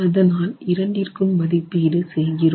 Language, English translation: Tamil, So, we make an estimate for both